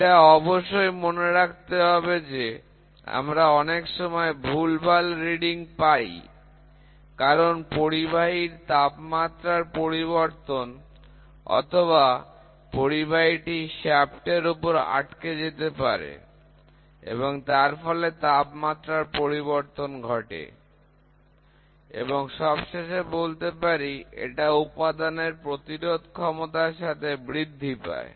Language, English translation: Bengali, Please make a note, many a times we get erratic readings, because of change in temperature either at the conductor or when the conductor is stuck on to a shaft where the change in temperature leads to this and the last thing is it increases with material resistivity, ok